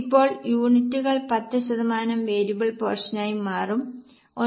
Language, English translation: Malayalam, Now variable portion will change because of units 10 percent, so 1